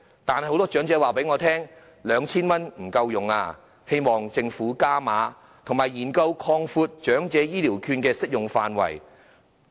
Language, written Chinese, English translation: Cantonese, 但是，很多長者告訴我 ，2,000 元並不足夠，希望政府加碼，以及研究擴闊長者醫療券的適用範圍。, However many elderly persons have told me that 2,000 is not enough and hope the Government will increase the amount and study an expansion of the coverage of Elderly Healthcare Vouchers